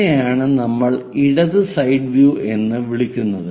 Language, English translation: Malayalam, This is what we call left side view